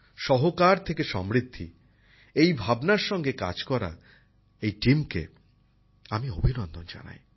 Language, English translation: Bengali, I appreciate this team working with the spirit of 'prosperity through cooperation'